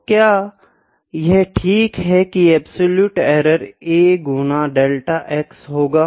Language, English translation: Hindi, So, then the absolute error here is equal to a times delta x, is it, ok